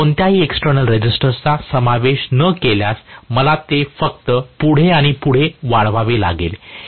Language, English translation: Marathi, If I do not include any external resistance, I have to just extend it further and further